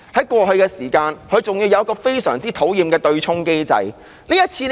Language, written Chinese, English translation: Cantonese, 過去，還有一個非常討厭的對沖機制。, Besides a very annoying offsetting mechanism is in place